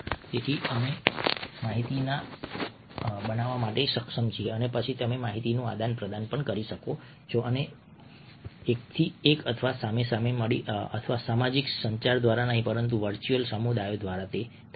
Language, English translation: Gujarati, so we are able create information and then you're able to share or exchange information, and this happens not through one to one or face to face or social communication, but through virtual communities